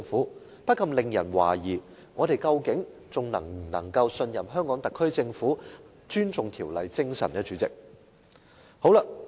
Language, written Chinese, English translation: Cantonese, 主席，這不禁令人懷疑，究竟我們能否仍信任香港特區政府尊重《條例》精神。, We cannot help but suspect whether we can still trust that the SAR Government will respect the spirit of the Ordinance